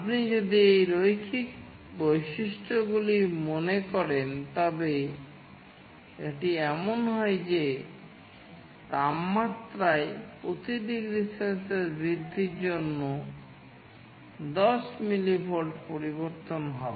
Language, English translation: Bengali, If you think of these linear characteristics, it is like there will be with 10 millivolt change for every degree Celsius increase in temperature